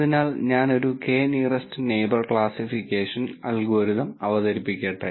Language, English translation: Malayalam, So, let me introduce a k nearest neighbor classification algorithm